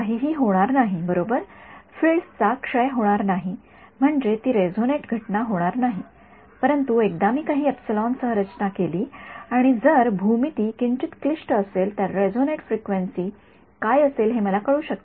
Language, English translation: Marathi, Nothing will happen right the fields will not decay I mean the field will not decay I mean the field will decay off it will not be a resonate phenomena, but once I designed a structure with some epsilon if the and if the geometry slightly complicated I would know what the resonate frequency is